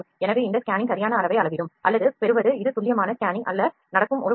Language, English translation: Tamil, So, this is sizing or acquiring the exact size of this scan this is just a preview that is happening not the actual scanning